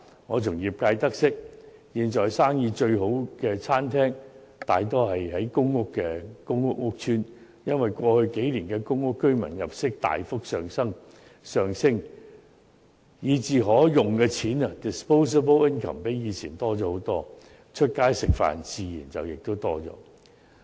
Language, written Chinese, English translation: Cantonese, 我從業界得悉，現在生意最好的餐廳，大多位於公共屋邨，因為過去數年公屋居民入息大幅上升，以致可動用的金錢遠多於過往，他們外出用膳的次數自然更多。, As I have learnt from members of the industry now restaurants doing the best business are mostly located in public housing estates because given the substantial rise in the income of public housing residents over the past few years their disposable income is far greater than before . It is a matter of course that they dine out more often